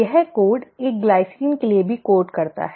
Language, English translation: Hindi, This code also codes for a glycine